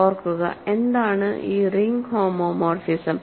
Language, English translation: Malayalam, Remember, what is this ring homomorphism